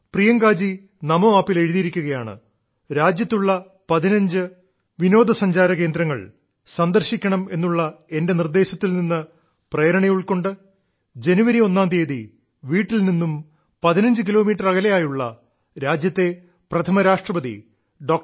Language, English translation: Malayalam, Priyanka ji has written on Namo App that she was highly inspired by my suggestion of visiting 15 domestic tourist places in the country and hence on the 1st of January, she started for a destination which was very special